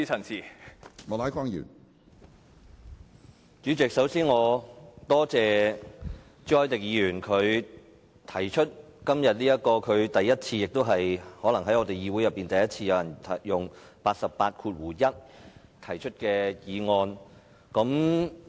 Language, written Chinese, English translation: Cantonese, 主席，首先我多謝朱凱廸議員，今天是他首次——亦可能是議會首次——根據《議事規則》第881條動議議案。, President first of all I would like to thank Mr CHU Hoi - dick . Today it is the first time that he moved a motion under Rule 881 of the Rules of Procedure RoP and probably the first time in the history of the Legislative Council that such a motion is moved